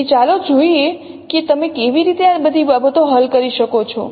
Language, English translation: Gujarati, So let us see how we are we can resolve all these things